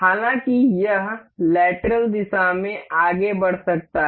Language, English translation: Hindi, However, it can move in lateral direction